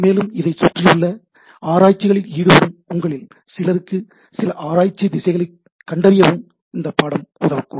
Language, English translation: Tamil, This also may help you, in some of you who are looking for some of the research activities around this, may help you in finding out some research directions